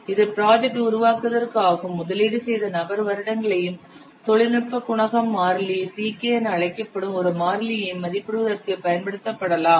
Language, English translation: Tamil, It can also be used to estimate the person years invested the time to develop and a constant called as technology coefficient constant CK